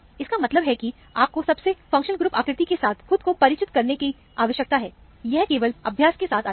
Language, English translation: Hindi, This means that, you need to familiarize yourself with most functional group frequency; it comes only with practice